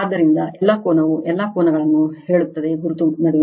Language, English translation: Kannada, So, all angle all angle say between mark right